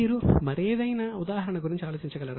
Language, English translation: Telugu, Can you think of any other example